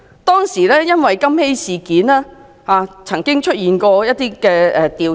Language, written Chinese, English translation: Cantonese, 當時因金禧事件，曾經作出一些調查。, At that time investigations were conducted in respect of the Golden Jubilee School incident